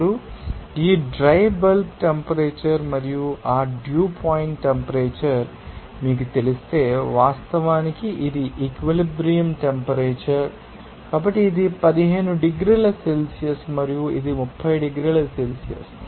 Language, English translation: Telugu, Now, this dry bulb temperature and if you know that dew point temperature, this is actually that saturation temperature, so, this is 15 degrees Celsius and this is 30 degree Celsius